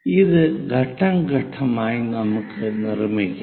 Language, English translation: Malayalam, Let us construct that step by step